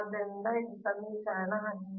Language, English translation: Kannada, so this is equation eighteen